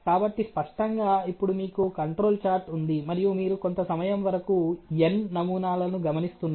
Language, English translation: Telugu, So obviously, now you have a control chart in place and you are observing the samples for n number for a certain period of time